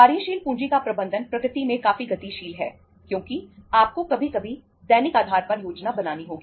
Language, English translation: Hindi, Management of working capital is quite dynamic in nature because you sometime you have to plan on daily basis